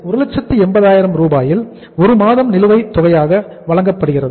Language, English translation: Tamil, So out of 180,000 1 month is paid in arrears